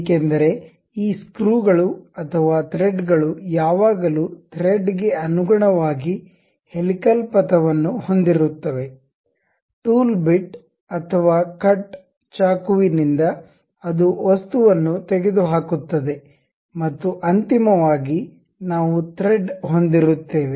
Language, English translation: Kannada, To make thread cut first what we have to do is a helical path because these screws or threads are always be having a helical path about which a thread, a tool bit or cut really goes knife, so that it removes the material and finally, we will have the thread